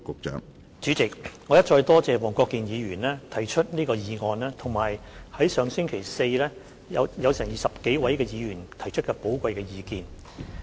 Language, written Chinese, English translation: Cantonese, 主席，我一再多謝黃國健議員提出這項議案，以及在上星期四有20多位議員提出的寶貴意見。, President once again I would like to thank Mr WONG Kwok - kin for moving this motion and some 20 Members for the valuable views they put forward last Thursday